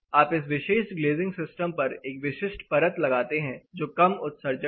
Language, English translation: Hindi, You apply a specific coating on this particular glazing system a low e coating